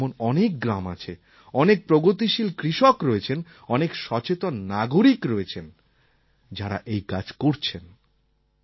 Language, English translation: Bengali, There must be many such villages in the country, many progressive farmers and many conscientious citizens who have already done this kind of work